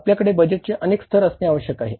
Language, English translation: Marathi, We have to have multiple level of budgeting